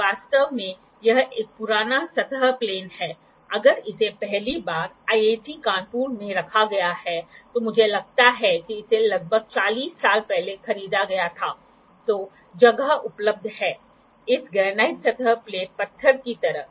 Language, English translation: Hindi, So, it its accuracies can be different these days actually this is an old surface plane, if it is first kept in a IIT Kanpur, I think this was purchased about 40 years back to these days which place which are available are of this stone like granite surface plate